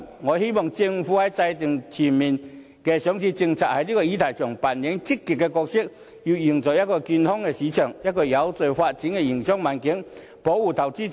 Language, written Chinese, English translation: Cantonese, 我希望政府在制訂全面上市政策的議題上扮演積極的角色，要營造一個健康的市場，一個有序發展的營商環境，以及保障投資者。, I hope that the Government can play an active part in the issue of formulating a comprehensive listing policy with a view to fostering a healthy market and a business environment with orderly development and protecting investors